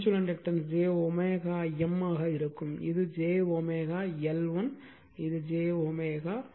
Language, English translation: Tamil, So, mutual inductance will be j omega M and this is j omega L 1 j omega L 2 right